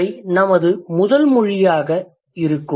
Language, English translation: Tamil, That's going to be our first language